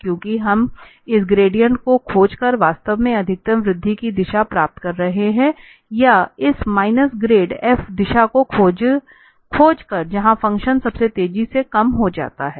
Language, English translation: Hindi, Because we are by finding this gradient we are actually getting the direction of maximum increase or by finding this minus grade f direction where the function decreases most rapidly